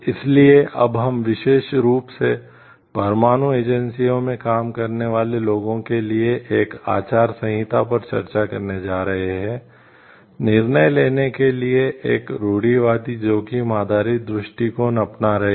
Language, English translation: Hindi, So, now, we are going to discuss code of ethics specifically for people working in nuclear agencies, adopt a conservative risk based approach to decision making